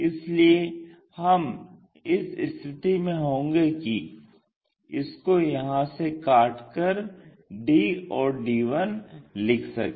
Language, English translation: Hindi, So, we will be in a position to make a cut here to locate d and to locate d 1', d 1